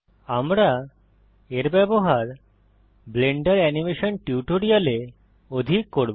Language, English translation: Bengali, We will use this a lot in the Blender Animation tutorials